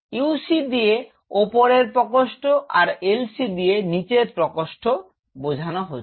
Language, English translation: Bengali, UC stand for Upper chamber; LC stand for Lower chamber